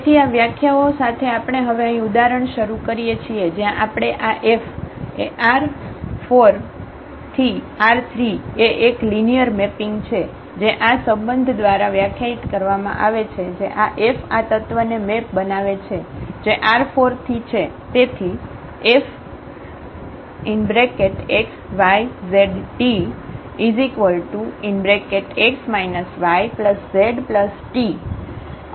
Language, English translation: Gujarati, So, with these definitions we start now here with the example, where we have taken this F linear map from R 4 to R 3 is a linear mapping which is defined by this relation F maps this element which is from R 4